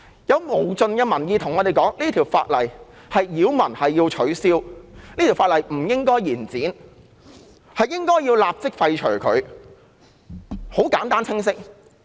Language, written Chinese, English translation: Cantonese, 有無盡的民意告訴我們這項附屬法例擾民，要取消，亦不應延展它的修訂期限，應予立即廢除，很簡單清晰。, Numerous members of the public have told us that the subsidiary legislation is a nuisance; it should be repealed; the period for amending the subsidiary legislation should not be extended; and it should be repealed immediately . Their requests are simple and clear